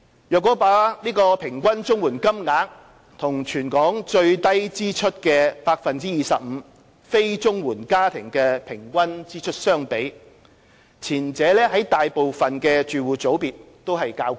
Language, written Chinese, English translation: Cantonese, 若把平均綜援金額與全港最低支出 25% 非綜援家庭的平均支出相比，前者在大部分住戶組別都較高。, If we compare the average CSSA payments with the average expenditure of the lowest 25 % expenditure group of non - CSSA households in Hong Kong the former is higher in most household categories